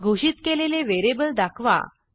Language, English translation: Marathi, Print the variable declared